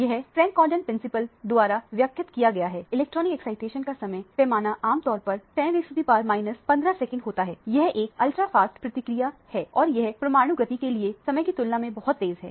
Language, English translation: Hindi, This is expressed by the Frank Condon Principle, the time scale of electronic excitation is typically of the order of 10 to the power minus 15 seconds, it is a ultra fast process and it is much faster than the time taken for the nuclear motion